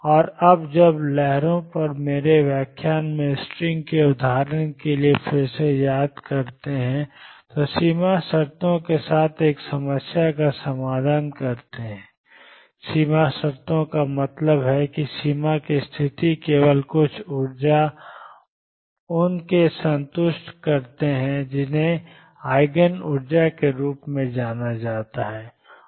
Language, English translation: Hindi, And when you solve a problem with boundary conditions if you recall again from the example of string in my lecture on waves, boundary conditions means that the boundary conditions are satisfied with only certain energies E n and these will be known as Eigen energies